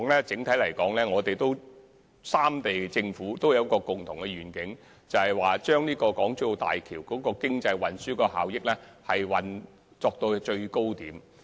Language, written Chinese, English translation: Cantonese, 整體來說，三地政府的共同願景，是將大橋的經濟運輸效益提升至最高點。, On the whole the common vision of the three Governments is to maximize the economic and transport benefits of HZMB